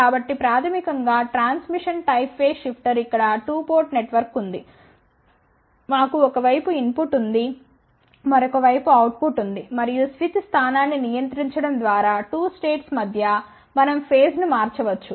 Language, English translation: Telugu, Now, lets talk about transmission type phase shifter so basically, transmission type phase shifter you can see here there is a 2 port network, we have an input on one side output on the other side and by controlling the switch position we can change the phase between; the 2 states